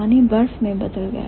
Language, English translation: Hindi, So, water turned into ice, right